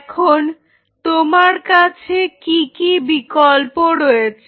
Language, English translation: Bengali, Now what are your options